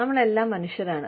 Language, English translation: Malayalam, We are all human